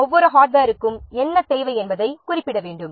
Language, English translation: Tamil, So, for each of the hardware specify what it needs to